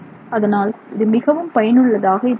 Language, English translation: Tamil, So, that is something that is useful